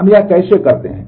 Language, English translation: Hindi, How we do that